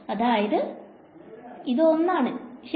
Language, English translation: Malayalam, So, this is actually 1 right